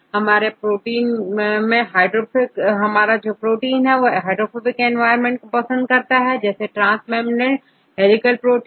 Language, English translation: Hindi, So, we have the some sort of proteins which are highly prefer to be highly hydrophobic environment for example, transmembrane helical proteins